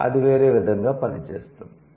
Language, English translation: Telugu, That doesn't work in this way